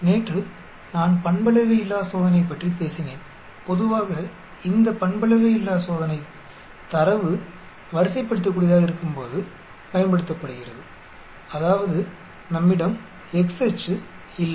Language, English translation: Tamil, Yesterday I talked about Nonparametric test and generally these Nonparametric test is used when the data is ordinal, that means we do not have x axis